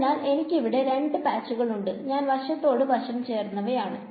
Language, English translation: Malayalam, So, I have two patches that are side by side right